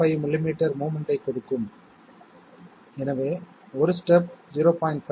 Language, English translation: Tamil, 5 millimetres of movement therefore, one step should give 0